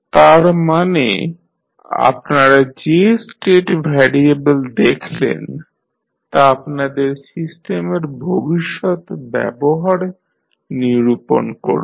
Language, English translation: Bengali, So, that means the state variable which you find will give you the future behaviour of the system